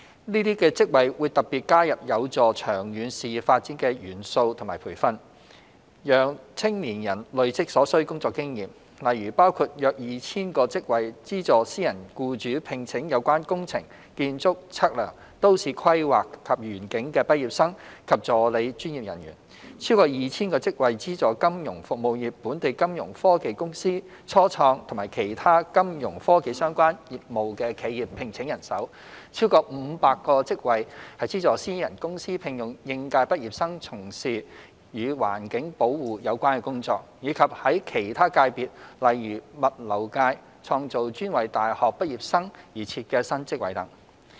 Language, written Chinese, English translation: Cantonese, 這些職位會特別加入有助長遠事業發展的元素或培訓，讓青年人累積所需工作經驗，例如包括約 2,000 個職位資助私人僱主聘請有關工程、建築、測量、都市規劃及園境的畢業生及助理專業人員；超過 2,000 個職位資助金融服務業、本地金融科技公司、初創及其他有金融科技相關業務的企業聘請人手；超過500個職位資助私人公司聘用應屆畢業生從事與環境保護有關的工作；以及在其他界別例如物流界創造專為大學畢業生而設的新職位等。, With elements or training conducive to long - term career development specially included in these job positions young people will be able to gain the necessary work experience . For example around 2 000 jobs are created to subsidize private employers to employ graduates and assistant professionals from the engineering architecture surveying town planning and landscape streams . More than 2 000 jobs are created to subsidize the financial services sectors local fintech companies start - ups and other enterprises engaging in fintech - related businesses to employ staff